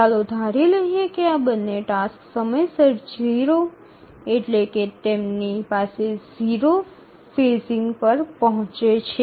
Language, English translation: Gujarati, Let's assume that both of these arrive at time zero, that is they have zero phasing